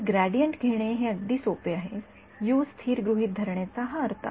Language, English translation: Marathi, So, to take gradient is very simple that is what I mean by assuming U constant